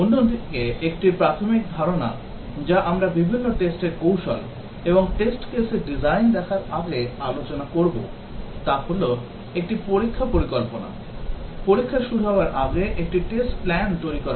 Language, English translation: Bengali, Another basic concept that we will discuss before looking at different testing strategies and test case design is a Test Plan before the testing starts, a test plan is produced